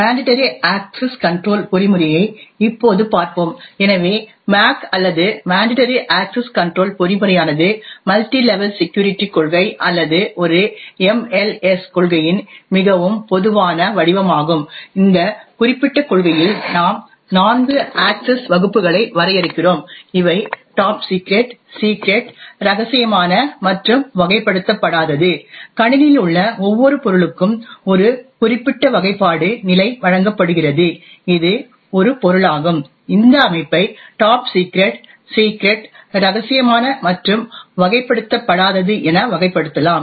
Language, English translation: Tamil, We will now look at the mandatory access control mechanism, so the MAC or the mandatory access control mechanism is the most common form of a multi level security policy or an MLS policy, in this particular policy we define four access classes, these are top secret, secret, confidential and unclassified, every object in the system is given a particular classification level that is an object the system could be either classified as top secret, secret, confidential or unclassified